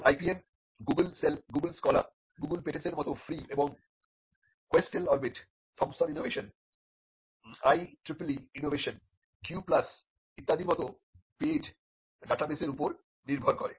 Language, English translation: Bengali, Now the IPM cell relies on free and paid data bases like Google scholar and Google patents which are free and the paid data bases like QUESTEL Orbit, Thomson innovation, IEEE innovation Q plus etcetera